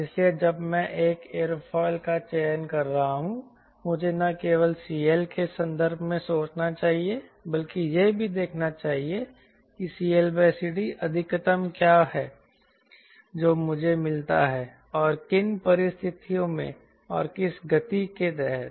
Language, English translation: Hindi, so when i am selecting an aerofoil i should not only take in terms of c l, but also that you see what is the c l by c d maximum i get and under what conditions and at under what speed